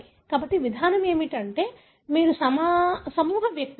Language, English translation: Telugu, So, the approach is, you group individuals